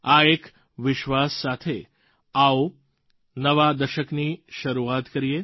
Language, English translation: Gujarati, With this belief, come, let's start a new decade